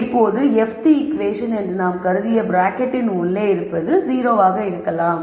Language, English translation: Tamil, Now the fth equation becomes the one which we have assumed which is the term inside the bracket is 0